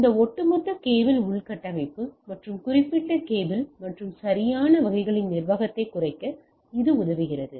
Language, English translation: Tamil, And it also is helping in reducing this overall cable infrastructure and management of the specific cable and type of things right